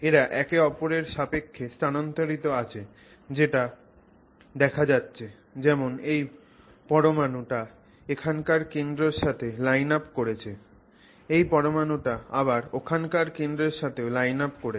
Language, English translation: Bengali, You can sort of see that let's say this atom here sort of lines up with the center here and it also lines up with the center there